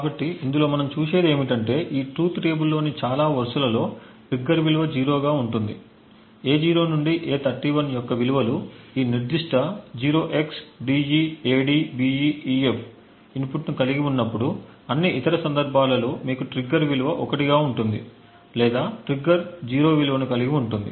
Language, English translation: Telugu, So, what we see in this is that in most of the rows in this truth table the trigger has a value of 0 exactly when the values of A0 to A31 has this specific 0xDEADBEEF input then you have a value of trigger to be 1, in all other cases or trigger has a value of 0